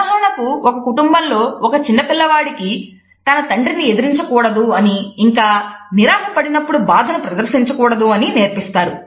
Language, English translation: Telugu, For example, in a family a child may be taught never to look angrily at his father or never to show sadness when disappointed